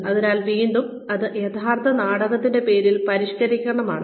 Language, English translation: Malayalam, So again, this is a modification of the name of the actual play